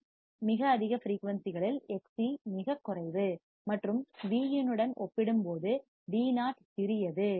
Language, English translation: Tamil, At very high frequencies Xc is very low and Vo is small as compared with Vin